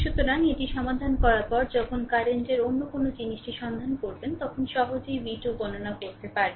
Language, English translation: Bengali, So, then after solving this you when you find out the current another thing then you can easily compute v 2 that will see